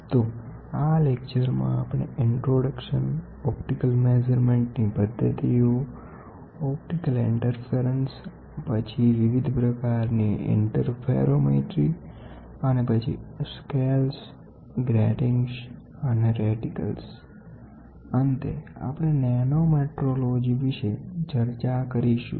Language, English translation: Gujarati, So, the content of discussion is going to be introduction followed by it we will have optical measurement techniques, optical interference, then different types of interferometry and then we will have scales, gratings, and reticles, then finally we will have Nanometrology to discuss